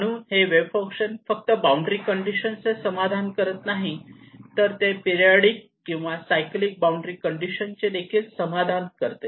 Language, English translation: Marathi, So the wave function now satisfies not a boundary condition but what is called a periodic or a cyclic boundary condition